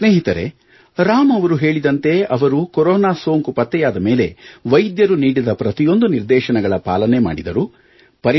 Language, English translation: Kannada, Friends, as Ram said, he followed Doctor's instructions fully when suspected of having Corona